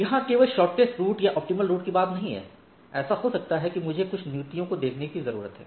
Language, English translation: Hindi, It is not only finding the shortest path or the optimal path; it may so happen that I need to look at some policies